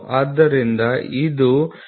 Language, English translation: Kannada, So, this is nothing, but 0